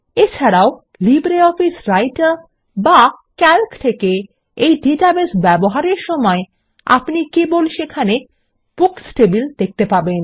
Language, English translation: Bengali, Also, when accessing this database from LibreOffice Writer or Calc, we will only see the Books table there